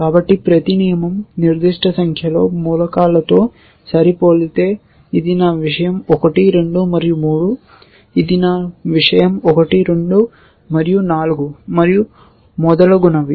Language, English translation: Telugu, So, if every rule will match certain number of elements remember for example, this is my thing 1, 2 and 3, this is my thing 1, 2 and 4 and so on and so forth